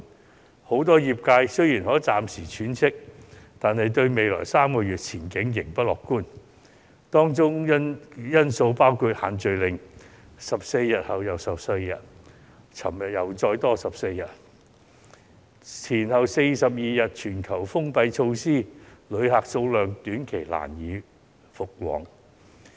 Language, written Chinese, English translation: Cantonese, 然而，很多食肆雖然可以暫時喘息，但對未來3個月的前景仍不樂觀，因為"限聚令"一再延長14天——昨天便再延14天——前後42天的全球封關措施亦令旅客人數短期難以回升。, However a lot of eatery owners though catching their breath for the moment are pessimistic about the outlook for the next three months because the group gathering ban can be extended time and again for 14 days―there was a 14 - day extension yesterday―and the number of tourists is unlikely to increase in the near future after the 42 - day lockdown around the globe